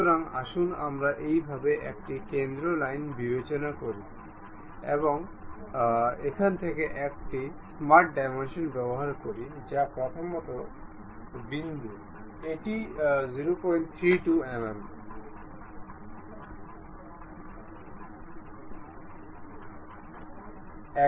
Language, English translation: Bengali, So, let us consider a center line in this way and use smart dimension from here to that first point it is 0